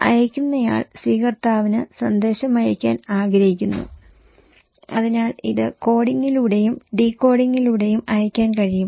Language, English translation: Malayalam, And sender wants to send message to the receiver right, so it can be sent through coding and decoding